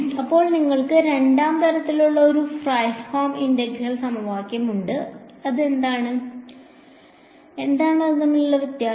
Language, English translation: Malayalam, Then you also have a Fredholm integral equation of the 2nd kind, what is the difference